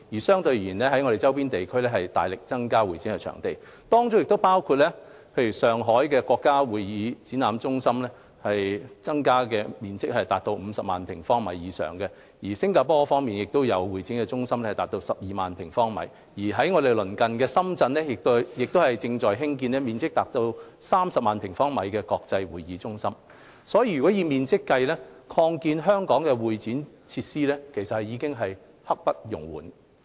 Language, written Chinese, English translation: Cantonese, 相對而言，香港的周邊地區均大力增加會展場地，當中包括面積達50萬平方米的上海國家會展中心，而新加坡方面有面積達12萬平方米的會展中心。本港鄰近的深圳亦正在興建面積達30萬平方米的國際會展中心。所以，以面積計，擴建香港的會展設施已是刻不容緩。, In contrast our neighbouring regions are working hard to expand their CE venues including the National Exhibition and Convention Center in Shanghai with a floor area of 500 000 sq m and a new convention centre in Singapore with a floor area of 120 000 sq m In addition our neighbour Shenzhen is building an international CE centre with a floor area of 300 000 sq m Therefore in terms of floor area there is a pressing need for expanding CE facilities in Hong Kong